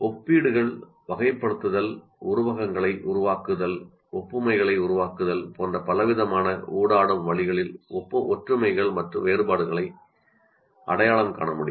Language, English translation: Tamil, So identification of similarities and references can be accomplished in a variety of highly interactive ways like comparing, classifying, creating metaphors, creating analogies